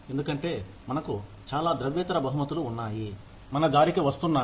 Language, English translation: Telugu, Because, we have so many, non monetary rewards, coming our way